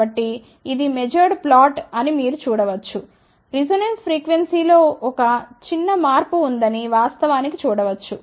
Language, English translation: Telugu, So, you can see that this is the measured plot, one can actually see that there is a small shift in the resonance frequency